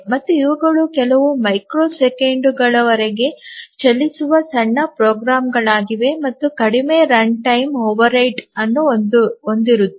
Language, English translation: Kannada, And these are very small programs run for a few microseconds, just few lines of code and incur very less runtime overhead